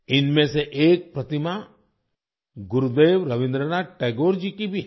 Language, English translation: Hindi, One of these statues is also that of Gurudev Rabindranath Tagore